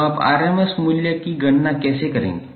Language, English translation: Hindi, So how you will calculate the rms value